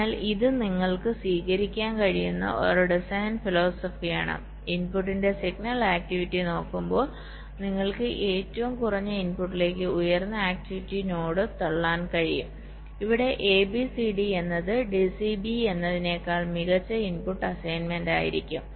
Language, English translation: Malayalam, so this is one design philosophy you can adopt where, looking at the signal activity of the input, you can push the highest activity node to the lowest input, like here: a, b, c, d will be a better input assignment rather than d, c, b, a